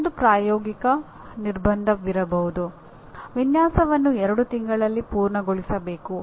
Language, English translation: Kannada, There can be another practical constraint the design should be completed within two months